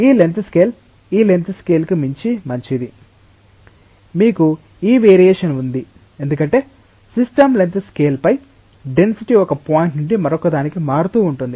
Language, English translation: Telugu, This length scale is fine beyond this length scale, you have a variation this variation is because over the system length scale the density is varying from one point to the other